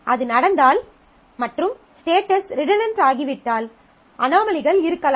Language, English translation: Tamil, So, if that happens and status becomes redundant and therefore, there could be anomalies